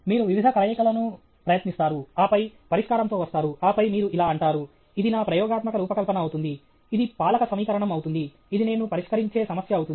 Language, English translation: Telugu, You try various combinations, and then, throwing up of the solution, and then, you say: this will be my experimental design; this will be the governing equation; this will be the problem I will solve